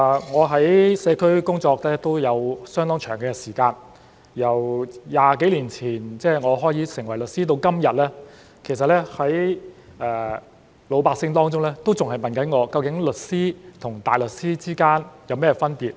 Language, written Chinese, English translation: Cantonese, 我在社區工作都有相當長時間，由20幾年前我成為律師到今日，其實老百姓還在問我：究竟律師與大律師之間有甚麼分別？, I have been serving the community for quite a long time . Since I became a lawyer some 20 years ago people have still been asking me exactly what is the difference between a solicitor and a barrister?